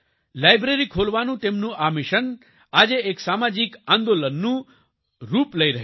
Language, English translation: Gujarati, His mission to open a library is taking the form of a social movement today